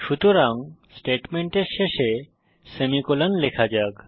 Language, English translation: Bengali, So, let us insert semicolon at the end of the statement